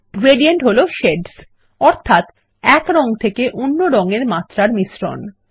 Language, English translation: Bengali, Gradients are shades that blend from one color to the other